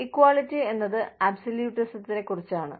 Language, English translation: Malayalam, Equality is about absolutism